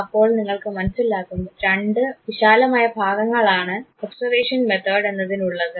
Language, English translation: Malayalam, So, you can understand that there could be two broad categories observation method